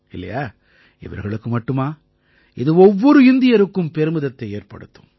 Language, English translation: Tamil, Not just that, every Indian will feel proud